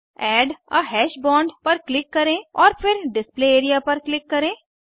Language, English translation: Hindi, Click on Add a hash bond and then click on the Display area